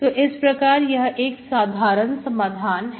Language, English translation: Hindi, So this is the general solution